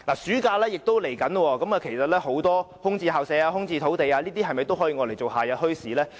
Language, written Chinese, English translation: Cantonese, 暑假將至，其實很多空置校舍和土地是否也可用作夏日墟市？, As the summer holidays are approaching many school buildings and sites will become vacant . Can they be used for holding summer markets?